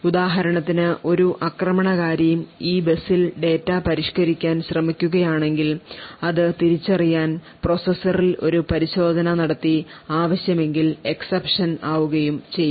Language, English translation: Malayalam, So, for example if an attacker tries to modify this data on this bus checks would be done in the processor to identify that the data has been modified and would throw an exception